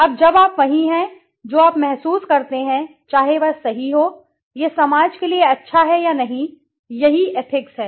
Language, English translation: Hindi, Now when you are what do you feel, whether it is correct, it is good for the society or not, that is what is ethics